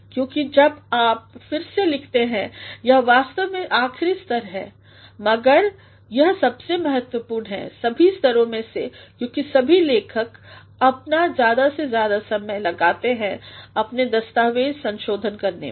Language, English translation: Hindi, Because, when you rewrite, it is actually the last stage though, but it is the most important of all stages because all writers they spend more and more time while they revise their documents